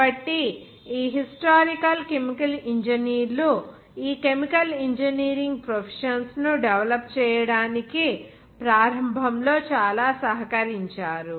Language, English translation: Telugu, So those historical chemical engineers have contributed a lot initially to develop these chemical engineering professions